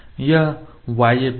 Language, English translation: Hindi, This is z y plane